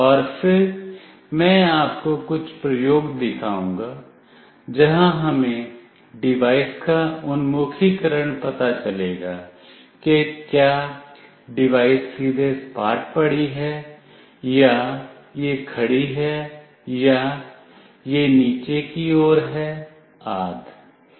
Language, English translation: Hindi, And then I will show you some experiment where the orientation of the device we will find out, whether the device is lying flat or it is vertically up or it is vertically down etc